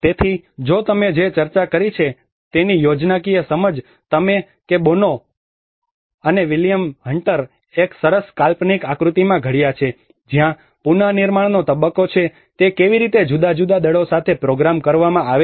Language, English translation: Gujarati, So if you look at the schematic understanding of what we have discussed that Boano and William Hunter have come framed in a nice conceptual diagram where there is a reconstruction phase, how it is programmed with different forces